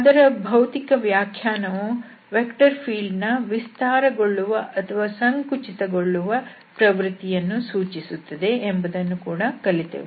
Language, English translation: Kannada, And we have also seen that the physical interpretation says that this tells the tendency of the vector field to expand or to compress